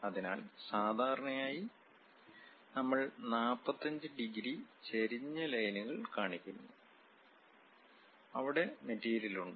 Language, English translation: Malayalam, So, usually we show 45 degrees inclined lines, where material is present